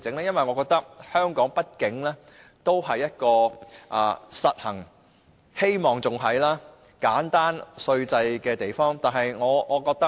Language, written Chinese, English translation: Cantonese, 因為我覺得並希望香港仍是一個實行簡單稅制的地方。, The reason is that I believe and hope that Hong Kong is still a place that implements a simple tax regime